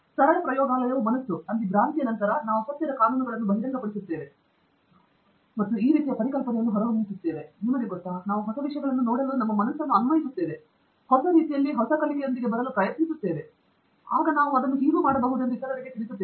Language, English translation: Kannada, So, that is the quote attributed to JC Bose and it sort of brings out this idea that, you know, we are applying our mind to look at new things, in new ways, and trying to come up with learning, which we can then convey to others